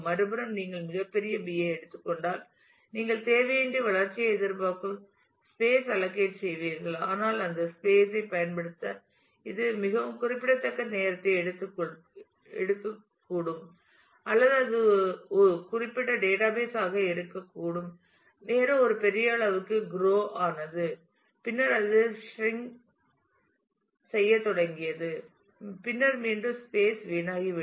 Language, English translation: Tamil, On the other hand if you take a too large a B then you will unnecessarily allocate a lot of space anticipating growth, but it may take a very significant amount of time to utilize that that space or also it is possible that it the database at certain point of time grew to a large size and then it started shrinking and then again space will get wasted